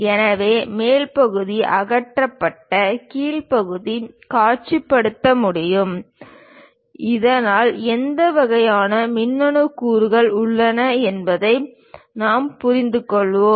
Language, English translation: Tamil, So, the top part will be removed and bottom part can be visualized, so that we will understand what kind of electronic components are present